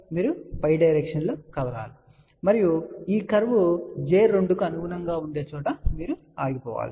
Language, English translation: Telugu, You move in the direction above and there you stop at a point where this curve corresponds to j 2